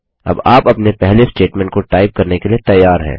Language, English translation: Hindi, You are now ready to type your first statement